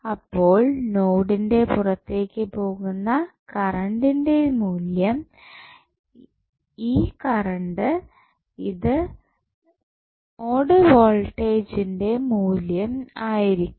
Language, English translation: Malayalam, So, the value of current going outside the node, this current would be the value of node voltage